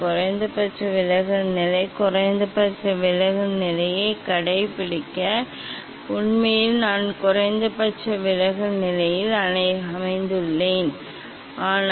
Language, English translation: Tamil, minimum deviation position, to find out the minimum deviation position actually I have set at minimum deviation position, but